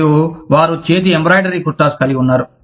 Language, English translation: Telugu, And, they have, hand embroidered kurtas